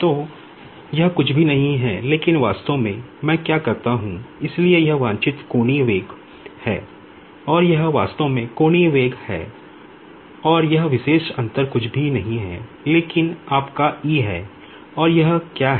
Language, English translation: Hindi, So, this is nothing, but actually what I do is, so this is the desired angular velocity and this is the actually obtained angular velocity and this particular difference is nothing, but is your E^dot